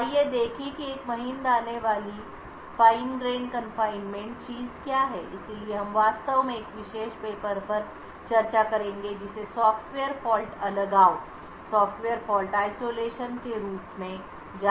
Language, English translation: Hindi, So, let us see what a Fine grained confinement is, so we will be actually discussing a particular paper known as Software Fault Isolation